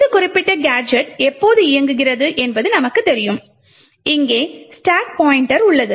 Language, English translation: Tamil, Now as we know when this particular gadget is executing, we have the stack pointer present here